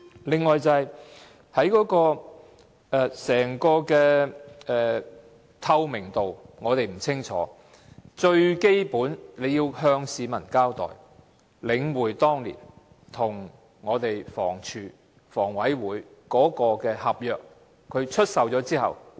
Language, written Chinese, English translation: Cantonese, 此外，在透明度方面也並不理想，最基本也應該向市民交代在領展當年與房署和房屋委員會簽訂的合約中，有關出售後的情況為何。, Moreover transparency is far from satisfactory . The Government should most basically explain to the public the after - sale arrangements in the contract concluded between Link REIT and HD and the Housing Authority back then